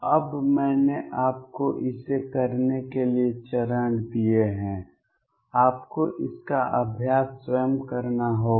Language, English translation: Hindi, Now, I have given you steps to do this you will have to practice it yourself